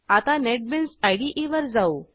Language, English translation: Marathi, Now let us switch to Netbeans IDE